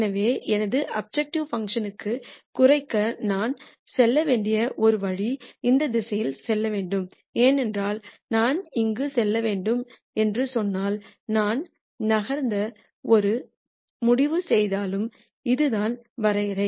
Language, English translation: Tamil, So, the one way in which I should move to decrease my objective function is to move in this direction because however, much I decide to move if I let us say I move here then this is the contour